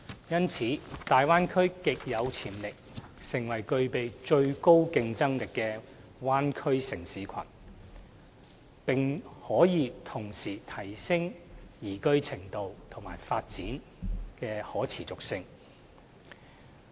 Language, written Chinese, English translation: Cantonese, 因此，大灣區極有潛力成為具備最高競爭力的灣區城市群，並可同時提升其宜居度和發展的可持續性。, As such the Bay Area has much potential to become a bay area city cluster of the highest competitiveness and has the ability to enhance its liveability and development sustainability